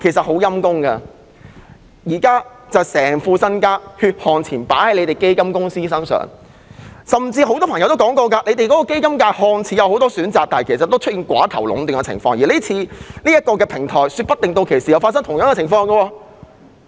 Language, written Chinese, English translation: Cantonese, 很可憐的是，市民把所有血汗錢寄託在基金公司身上，但一如很多人曾經指出，強積金計劃看似有很多選擇，但其實存在寡頭壟斷的情況，說不定這個平台也會出現類似情況。, What is miserable is that members of the public have entrusted their hard - earned money with fund companies but as pointed out by many people although there are superficially many choices under the MPF System oligopoly does exist and this may also be the case with the proposed electronic platform